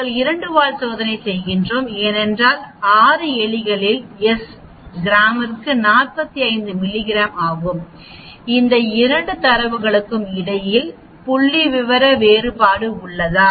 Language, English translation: Tamil, We are doing 2 tail test because, the question is, in rats it is 45 milligram per gram is there a statistical difference between these 2 data, is there are a statistical difference